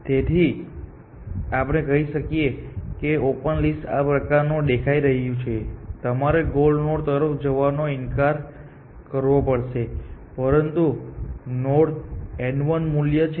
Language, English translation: Gujarati, So, let us say the open is looking something like this, you know refusing to go towards the goal node, but there is a node n 1 g value